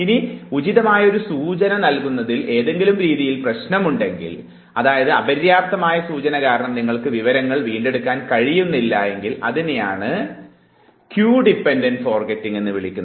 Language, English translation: Malayalam, Now if there is a problem with giving appropriate cue and therefore, if because of the inadequate cue you are not able to retrieve the information then this is called Cue Dependent Forgetting